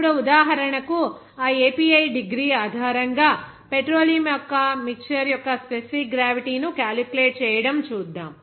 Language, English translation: Telugu, Now, for example, let us see to calculate the specific gravity of that petroleum mixture based on their degree API